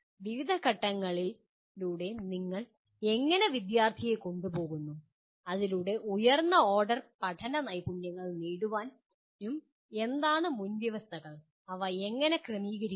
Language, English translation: Malayalam, How do you take the student through various phases so that he is going to acquire the higher order learning skills and what are the prerequisites and how do you sequence them